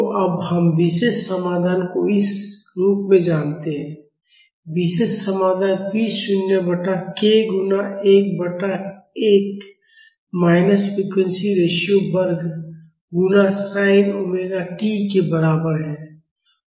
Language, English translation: Hindi, So, now, we know the particular solution as, particular solution is equal to p naught by k multiplied by 1 by 1 minus frequency ratio square multiplied by sin omega t(sin(